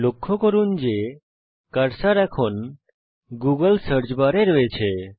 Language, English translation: Bengali, Notice that the cursor is now placed inside the Google search bar